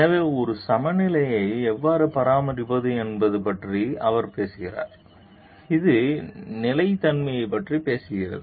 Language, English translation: Tamil, So, he talks of how to maintain a balance it talks of sustainability